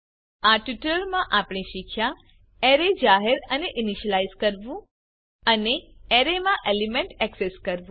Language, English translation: Gujarati, In this tutorial, you will learn how to create arrays and access elements in arrays